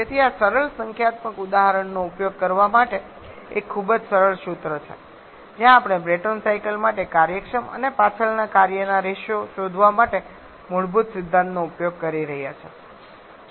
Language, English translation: Gujarati, So, this is a very simple formula just to use simple numerical example where we are using basic principles to find the efficient x efficiency and back work ratio for Braytonn cycle